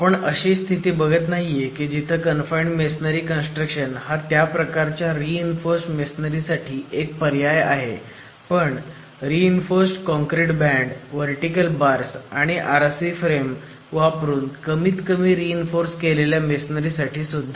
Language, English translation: Marathi, We are not looking at a situation where the confined masonry construction is an alternative to that type of reinforced masonry but minimally reinforced masonry with reinforced concrete bands and vertical bars and RC frame construction as well